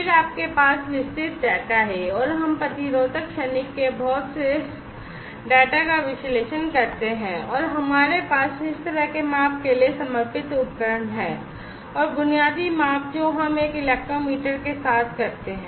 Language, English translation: Hindi, Then you have a wide full of data, and we do lot of data analysis of the resistance transient, and we have dedicated equipments for those kind of measurement, and the basic measurement that we do with an electrometer